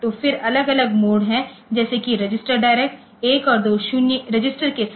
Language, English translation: Hindi, So, then there are different modes like you have register direct with 1 and 2 registers